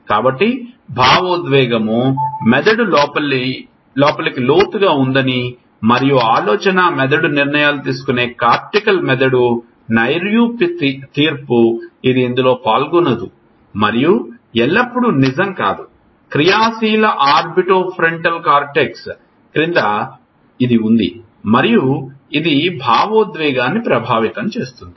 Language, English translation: Telugu, So, this thinking that the emotional brain is deep inside and the thinking brain the cortical brain which is make decisions, abstract judgment, it is not involved in it and not always true there is under active orbitofrontal cortex and this affects emotion